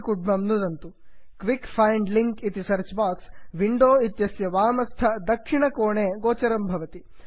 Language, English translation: Sanskrit, The quick find links on the search box appears, at the bottom left corner of the window